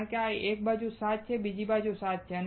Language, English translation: Gujarati, Because there are 7 on one side, there are 7 on other side